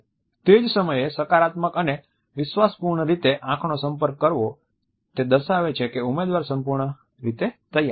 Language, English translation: Gujarati, At the same time making eye contact in a positive and confident manner sends the message that the candidate is fully prepared